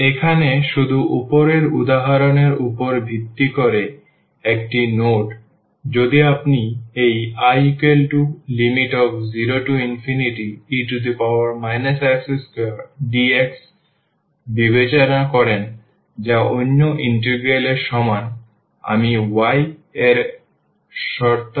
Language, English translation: Bengali, Here just not based on the above example if you consider this I here 0 to infinity e power minus x square dx which is equal to another integral I am considering terms of y